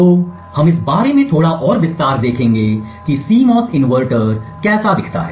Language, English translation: Hindi, So, we will see little more detail about what a CMOS inverter looks like